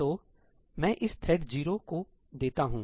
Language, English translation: Hindi, So, I give this to thread 0